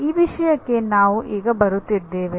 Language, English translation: Kannada, That is what we are coming to